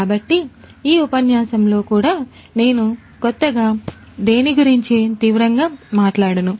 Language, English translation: Telugu, So, in this lecture also consequently, I am not going to talk about anything new drastically